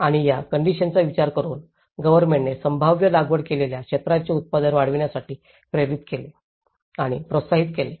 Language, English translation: Marathi, And considering this conditions, the government has motivated to and encouraged to enhance the production of the feasible cultivated areas